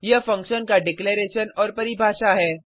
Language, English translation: Hindi, This is the declaration definition of the function